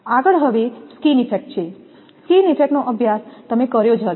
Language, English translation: Gujarati, So, next is skin effect; skin effect you have studied